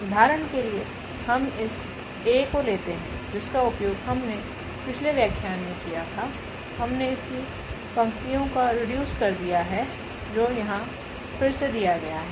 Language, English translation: Hindi, So, for instance we take this A, which was already used in previous lectures we have also seen its row reduced echelon form which is given here again